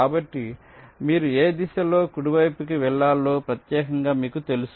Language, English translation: Telugu, so you know uniquely which direction you have to move right